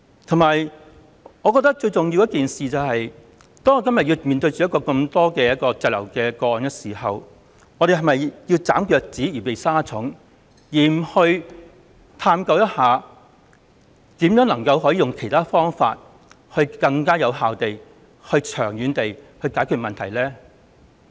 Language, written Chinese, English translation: Cantonese, 此外，我認為最重要的是，我們今天面對如此大量滯留香港的人，是否就要"斬腳趾避沙蟲"而不探究如何利用其他方法，更有效、長遠地解決問題呢？, And more importantly although we are facing a large number of people now stranded in Hong Kong should this become the reason to chop off the toes to avoid insect bites and refuse to explore other means to more effectively solve the problem once and for all?